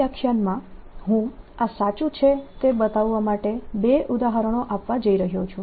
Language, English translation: Gujarati, in this lecture i am going to do two examples to show this is true